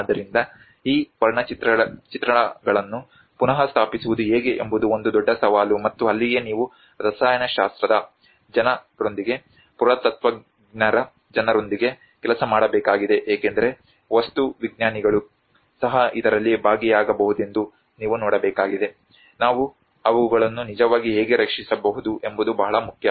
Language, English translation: Kannada, So, how to restore these paintings that is one of the biggest challenge and that is where you have to work out with the people from chemistry, with people from archaeologists because you need to see that there is a material scientists could also be involved in it, how we can actually protect them is very important